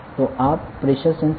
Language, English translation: Gujarati, So, this is about the pressure sensor